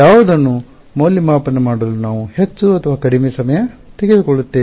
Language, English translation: Kannada, Which one we will take more or less time to evaluate